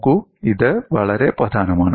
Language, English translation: Malayalam, See, this is very important